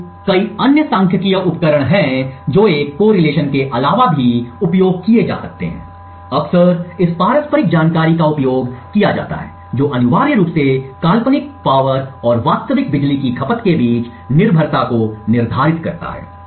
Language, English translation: Hindi, So, there are various other statistical tools that can be used other than a correlation, quite often this mutual information is used which essentially quantifies the dependence between the hypothetical power and the real power consumption